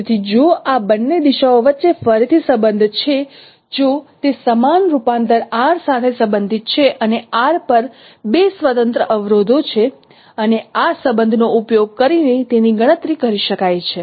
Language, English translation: Gujarati, So the relationship between these two directions again they are related with the same transformation R and there are two independent constraints on r and it can be computed using this relationship